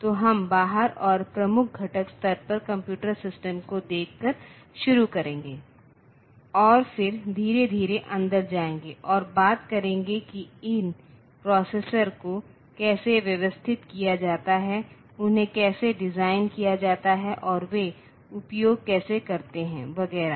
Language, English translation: Hindi, So, we will start by looking into the computer system from the outside and the at the major component level and then slowly go inside and talk about how these processors are organized, and how are they designed how are they used et cetera